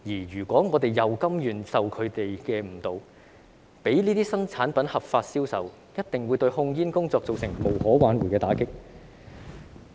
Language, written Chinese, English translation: Cantonese, 如果我們甘願受他們誤導，讓這些新產品合法銷售，一定會對控煙工作造成無可挽回的打擊。, If we are willing to be misled by them and allow these new products to be sold legally it will definitely deal an irreversible blow to tobacco control